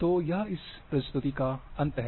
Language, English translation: Hindi, So, this brings to the end of this presentation